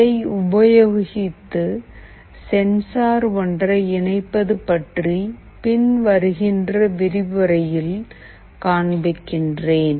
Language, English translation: Tamil, I will be also showing you by connecting it with one of the sensors that we will be using in this week in a subsequent lecture